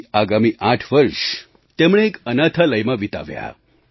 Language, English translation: Gujarati, Then he spent another eight years in an orphanage